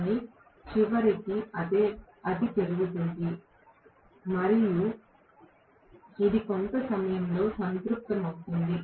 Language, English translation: Telugu, But eventually it will increase and it will saturate at some portion of time